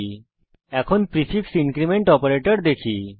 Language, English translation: Bengali, We now have the prefix decrement operator